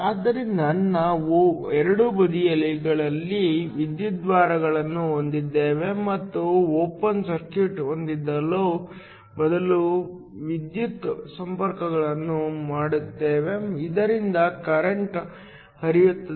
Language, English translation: Kannada, So, we have the electrodes on both sides and instead of having open circuit, we make the electrical connections so that current can flow